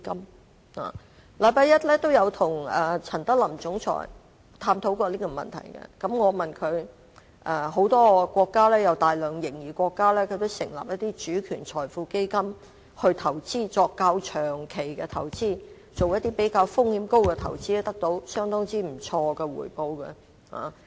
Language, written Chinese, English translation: Cantonese, 我在同日與香港金融管理局總裁陳德霖探討這個問題時對他說，很多擁有大量盈餘的國家也成立主權財富基金，作較長期及風險較高的投資，亦得到相當不錯的回報。, On that same day when I was discussing this issue with Mr Norman CHAN Chief Executive of the Hong Kong Monetary Authority HKMA I also told him that many countries with huge reserves had set up national sovereign wealth funds to engage in investments for longer terms with higher risks and they have obtained considerable returns